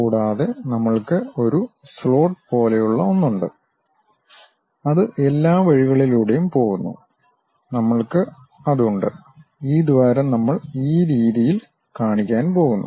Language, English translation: Malayalam, And, we have something like a slot which is going all the way down, we are having that and we have this hole which we are going to show it in this way